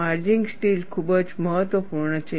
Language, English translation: Gujarati, Maraging steel is also very important